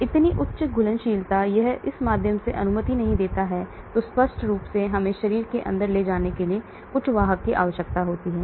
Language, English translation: Hindi, So high solubility it does not permeate through that so obviously we need some carrier to take it inside the body